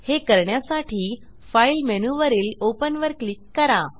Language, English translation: Marathi, To do this, I will go to the File menu, click on Open